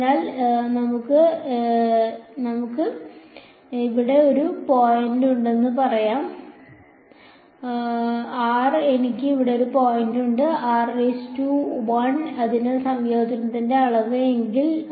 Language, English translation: Malayalam, So, this is let us say I have one point over here r I have one point over here r prime, so, if the volume of integration if it